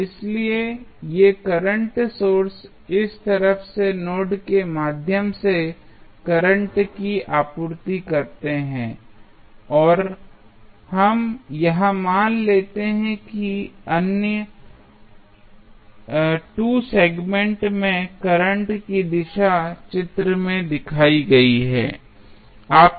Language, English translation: Hindi, So, this current sources supplying current through node A from this side and let us assume that the direction of current in other 2 segment is has shown in the figure